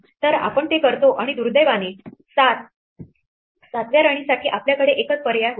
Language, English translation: Marathi, So, we do that and we find that unfortunately for the 7th queen, we had only one choice